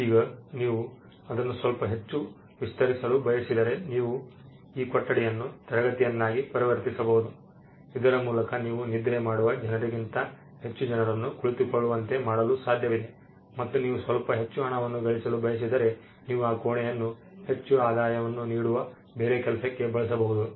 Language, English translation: Kannada, Now if you want to stretch it a bit more further you can convert the room into a classroom by which you can make more people sit to then sleep and you can make some more money or you can change your enterprise into a different 1